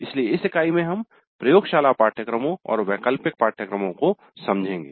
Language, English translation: Hindi, So in this unit we look at laboratory courses and elective courses